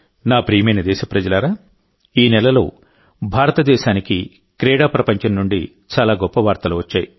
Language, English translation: Telugu, My dear countrymen, this month many a great news has come in for India from the sports world